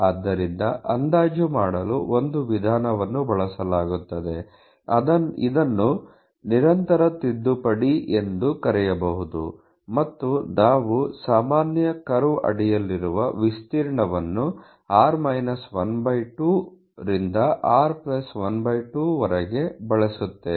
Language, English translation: Kannada, So, an approximation method is use to make a, you can say this can be called as a continuity correction you know, and we use the area under the normal curve from r to r +